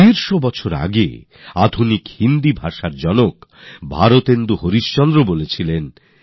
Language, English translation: Bengali, Hundred and fifty years ago, the father of modern Hindi Bharatendu Harishchandra had also said